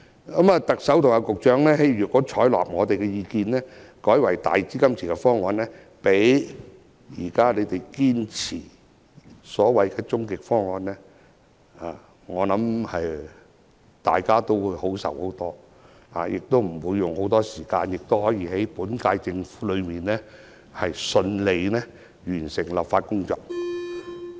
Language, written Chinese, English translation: Cantonese, 如果特首和局長採納我們的意見，改為用"大基金池"方案，比當局堅持的所謂終極方案，大家會開心很多，也不會花很多時間討論，可以在本屆政府任期內順利完成立法工作。, We will be very glad if the Chief Executive and the Secretary are willing to adopt our view and change to our enhanced version instead of their ultimate proposal that they have been insisting . And we do not need to spend a lot of time on the discussion and we can smoothly complete the legislative work within this Government term